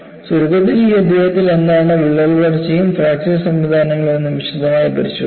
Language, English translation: Malayalam, So, in essence, in this chapter, we have looked at in greater detail, what are crack growth and fracture mechanisms